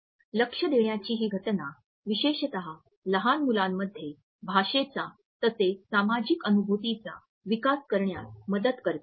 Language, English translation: Marathi, This phenomenon of joint attention facilitates development of language as well as social cognition particularly in young children